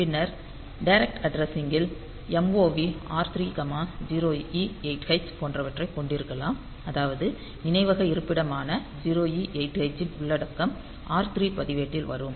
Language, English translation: Tamil, So, you can have like MOV R 3 comma 0E8h so; that means, the content of memory location 0E8h will come to the register R3